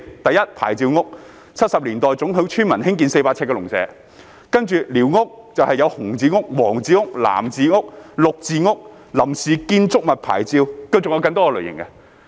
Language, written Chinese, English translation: Cantonese, 第一，"牌照屋"，是1970年代准許村民興建的400平方呎農舍；其次是寮屋，分為"紅字屋"、"黃字屋"、"藍字屋"、"綠字屋"；另外是臨時建築物牌照，還有更多類型。, The first one is for licensed structures which are 400 sq ft farm structures that villagers were allowed to build in the 1970s . The second one is for squatter structures which are classified as red yellow blue and green . Another type is the temporary building licence and there are many more